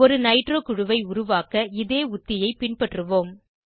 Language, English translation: Tamil, We will follow a similar strategy to create a nitro group